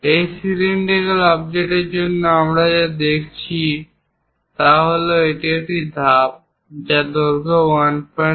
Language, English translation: Bengali, For these cylindrical objects what we are showing is there is a step, for that there is a length of 1